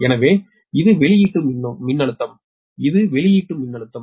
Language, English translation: Tamil, this is the output voltage, right